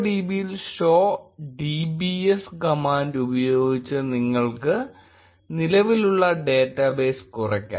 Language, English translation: Malayalam, In MongoDB, you can less the existing data bases by using the command show dbs